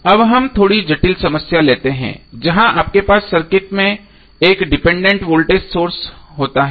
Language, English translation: Hindi, Now let us take slightly complex problem where you have 1 dependent voltage source in the circuit